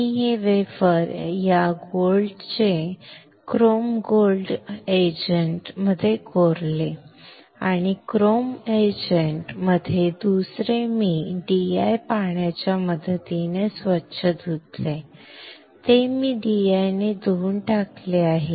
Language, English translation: Marathi, I have etched this wafer this metal chrome gold in gold agent and second in chrome agent in between I have rinse it with the help of DI water; I have rinse it with DI